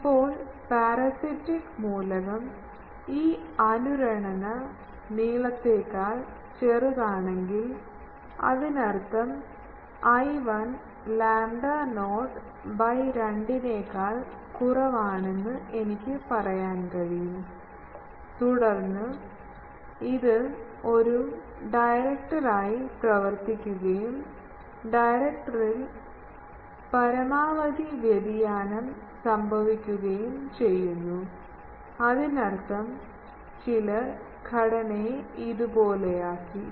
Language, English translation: Malayalam, Now, if the parasitic element is shorter than this resonant length; that means, I can say l 1 is less than lambda not by 2, then it acts as a director and maximum variation occurs in the director; that means, people have made the structure like this that